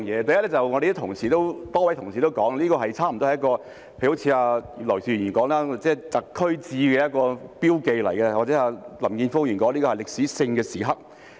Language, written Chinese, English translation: Cantonese, 第一，正如多位同事所說，例如葉劉淑儀議員說這是"特區誌"，是一個標記，或林健鋒議員說這是歷史性的時刻。, First as a number of colleagues have said for instance Mrs Regina IP said that this is a chronicle of the Hong Kong Special Administrative Region a landmark or as Mr Jeffrey LAM has said a historical moment